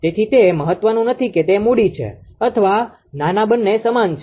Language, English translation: Gujarati, So, it does not matter whether it is capital or small both are same right